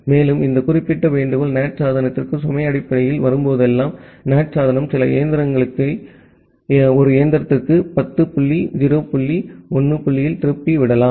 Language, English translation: Tamil, And the whenever this particular request are coming to the NAT device based on the load the NAT device can redirect some of the machines some of the request to one machine at 10 dot 0 dot 1 dot 2 and some of the request to a different machine at 10 dot 0 dot 1 dot 3